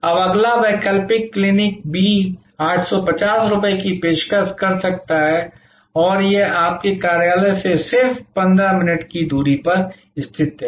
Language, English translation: Hindi, Now, the next alternative Clinic B might be offering 850 rupees and it is just located 15 minutes away from your office